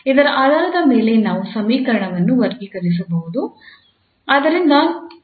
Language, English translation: Kannada, Based on this we can classify the equation